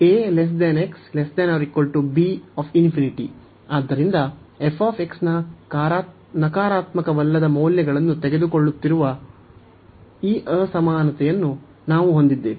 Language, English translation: Kannada, So, we have this inequality that f x is taking in non negative values